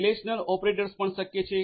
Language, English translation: Gujarati, A relational operators are also possible